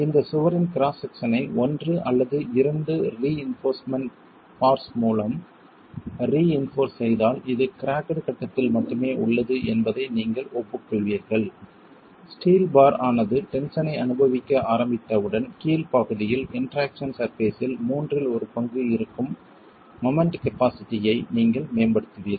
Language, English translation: Tamil, If you were to reinforce this wall cross section with one or two reinforcement bars, then you will agree that it is only in the cracked phase, once the steel bars start experiencing tension, you will have improved moment capacity which is in the lower half, in the lower one third of the interaction surface itself